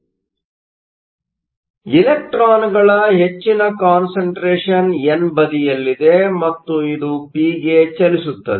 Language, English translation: Kannada, So, the higher concentration of electrons is on the n side, and this moves into p